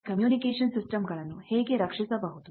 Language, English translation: Kannada, How to shield our communication systems